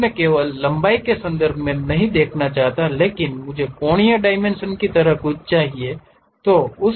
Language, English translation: Hindi, Now, I do not want only in terms of length, but something like angular dimensions I would like to have it